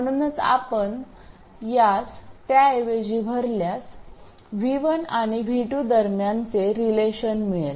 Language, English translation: Marathi, So by substituting this into that one, we will get a relationship between V1 and V2